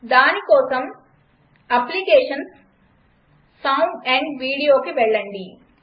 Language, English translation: Telugu, For that go to Applications gt Sound amp Video